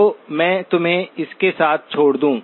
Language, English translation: Hindi, So let me leave you with that